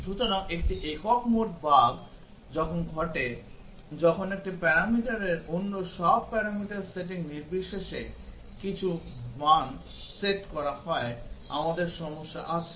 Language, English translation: Bengali, So, a single mode bug occurs when one of the parameters is set to some value irrespective of the setting of all other parameters we have a problem